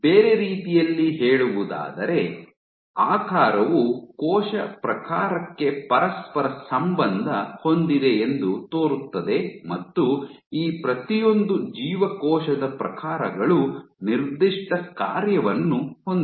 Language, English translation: Kannada, In other words, shape seems to be correlated to cell type and each of these cell types has a given function